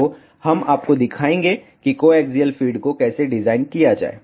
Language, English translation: Hindi, So, we will show you how to design the co axial feed also